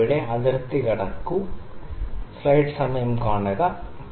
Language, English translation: Malayalam, It is trying to cross the line here